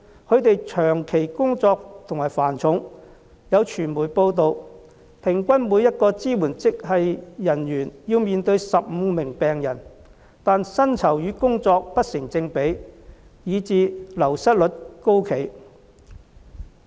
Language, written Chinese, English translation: Cantonese, 他們長期工作繁重，有傳媒報道，平均每一位支援職系人員要面對15名病人，但薪酬與工作不成正比，以致流失率高企。, Their workload is constantly very heavy . According to a media report each staff member of the supporting grade has to deal with 15 patients . However since their salaries are not commensurate with the workload the wastage rate is very high